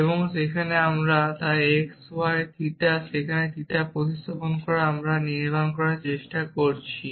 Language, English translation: Bengali, And now we, so x y theta where theta is the substitution we are trying to build what is a substitution